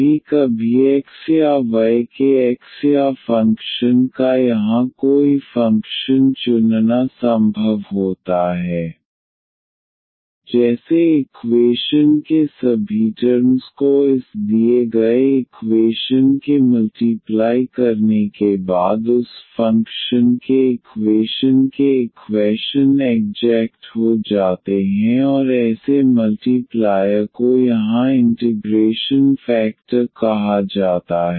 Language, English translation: Hindi, It is sometimes possible to choose a function here x or function of x and y such that after multiplying all the terms of the equations after multiplying this given equation by that function the equations become the equation becomes exact and such a multiplier here is called the integrating factor